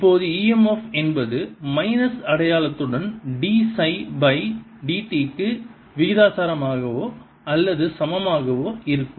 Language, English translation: Tamil, now e m f is going to be proportional to, or equal to d, phi by d t, with the minus sign